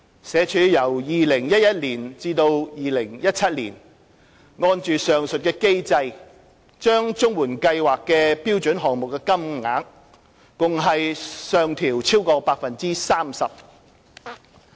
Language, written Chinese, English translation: Cantonese, 社署由2011年至2017年，按上述機制把綜援計劃的標準項目金額共上調超過 30%。, In accordance with this mechanism SWD has adjusted upward the standard payment rates under the CSSA Scheme by more than 30 % from 2011 to 2017